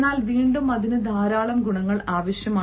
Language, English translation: Malayalam, but again, that requires so many qualities